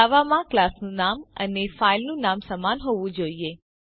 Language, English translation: Gujarati, In Java, the name of the class and the file name should be same